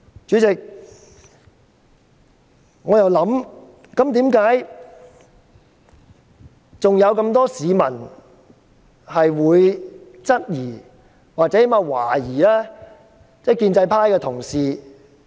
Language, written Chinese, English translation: Cantonese, 主席，為何還有很多市民質疑或懷疑建制派的同事？, President how come so many people are sceptical about our pro - establishment colleagues?